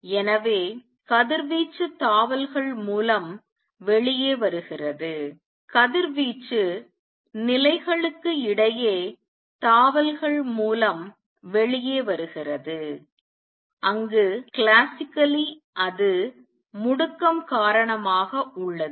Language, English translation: Tamil, So, radiation comes out by jumps; radiation comes out by jumps between levels where as classically it is because of the acceleration